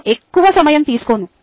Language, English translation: Telugu, i am not going to take too much time